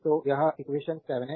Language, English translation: Hindi, So, this is equation 7